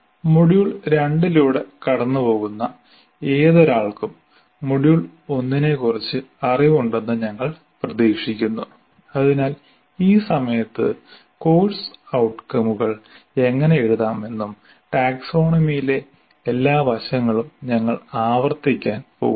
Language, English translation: Malayalam, So we expect whoever is going through the module 2, they have the knowledge of module 1 because we are not going to repeat all that, all those elements are the taxonomy and how to write and all that at this point of time